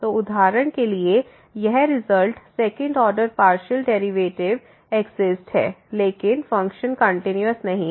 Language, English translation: Hindi, So now the next example it shows the existence of the second order partial derivative though the function is not continuous